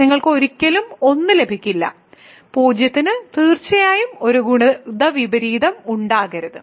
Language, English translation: Malayalam, You will never get 1 so, 0 certainly cannot have a multiplicative inverse